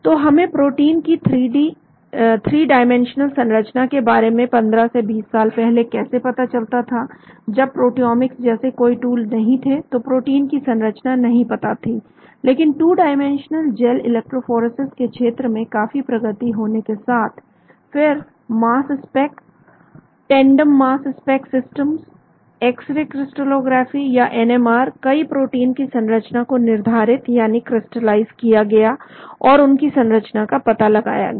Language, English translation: Hindi, So how do we get the protein 3 dimensional structure about 15 to 20 years back there were no tools like proteomics, so protein structure was not known but with lot of development in the area of 2 dimensional gel electrophoresis, then mass spec, tandem mass spec systems, x ray crystallography or NMR, lot of proteins are being crystallized and their structures are being determined